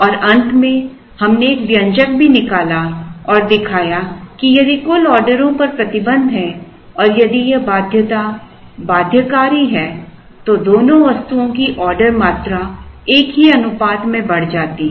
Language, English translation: Hindi, And, at the end we also derived an expression and showed that if there is a restriction on the total number of orders and if that constraint is binding then the order quantities of both the items increase in the same proportion